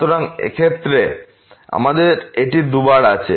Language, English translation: Bengali, So, in this case we have this 2 times